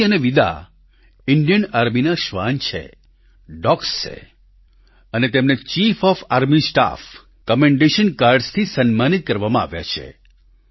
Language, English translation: Gujarati, Sophie and Vida are the dogs of the Indian Army who have been awarded the Chief of Army Staff 'Commendation Cards'